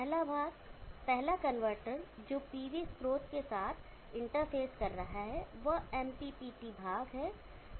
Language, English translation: Hindi, The first part, the first converter which is interfacing with the PV source is the MPPT part